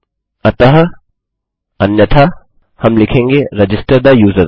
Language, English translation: Hindi, So, otherwise we will say register the user